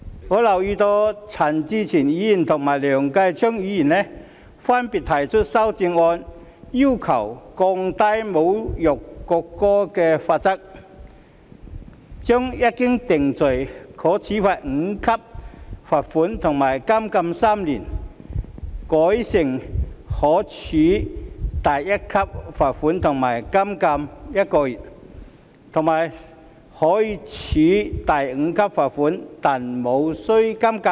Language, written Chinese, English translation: Cantonese, 我留意到陳志全議員和梁繼昌議員分別提出修正案，要求降低侮辱國歌罪行的罰則，將一經定罪可處第5級罰款和監禁3年修改為分別可處第1級罰款和監禁1個月，以及可處第5級罰款但無須監禁。, I note that Mr CHAN Chi - chuen and Mr Kenneth LEUNG have proposed amendments to respectively reduce the penalties for the offence of insulting the national anthem from being liable on conviction to a fine at level 5 and imprisonment for three years to a fine at level 1 and imprisonment for one month and a fine at level 5 but no imprisonment